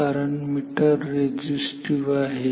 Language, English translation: Marathi, So, meter is resistive